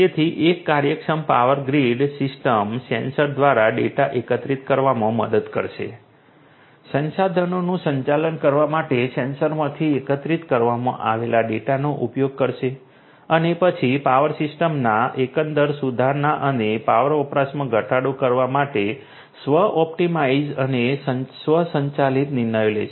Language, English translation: Gujarati, So, efficient power grid system would help in collecting the data through the sensors, use the data that are collected from the sensors to manage the resources and then optimize self optimize and take automated decisions for overall improvement of the power system and reduction of power usage